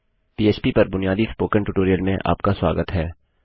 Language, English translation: Hindi, Welcome to this basic php Spoken Tutorial